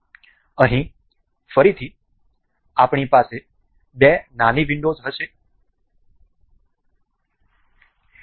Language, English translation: Gujarati, Here again, we have two little windows